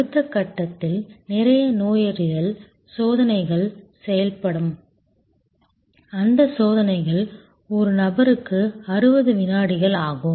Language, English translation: Tamil, In the next step where lot of diagnostic tests will be done say that those tests takes 60 seconds per person